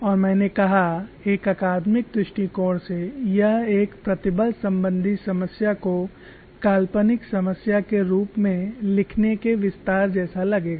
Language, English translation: Hindi, As I said, from an academic point of view, it would look like an extension of writing a stress function to a fictitious problem